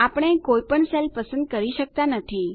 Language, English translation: Gujarati, We are not able to select any cell